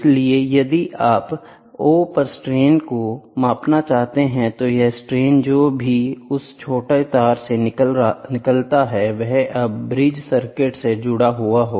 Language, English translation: Hindi, So, if you want to measure strain at O, so, this strain whatever comes out of that small wire, it is now attached to a the bridge circuit